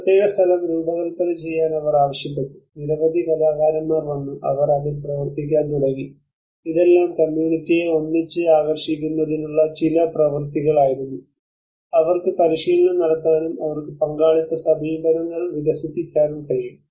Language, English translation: Malayalam, And they asked to design this particular place, and many artists came, and they started working on that, and these are all some exercises where to pull the community together, and they can practice, and they can develop a kind of participatory approaches